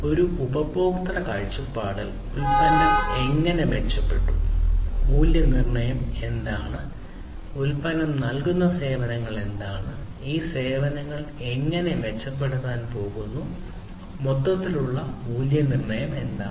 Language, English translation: Malayalam, From a customer viewpoint, how the product has improved, what is the value proposition and the services that the product offers; how these services are going to be improved, what is the overall value proposition